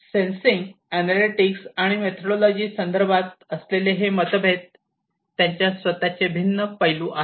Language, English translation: Marathi, So, these differences with respect to sensing analytics and methodologies are with they have their own different facets